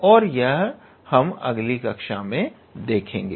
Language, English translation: Hindi, And we will see that in our next class